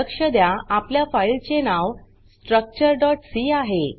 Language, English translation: Marathi, Note that our filename is structure.c